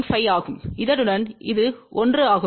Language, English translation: Tamil, 5, along this it is 1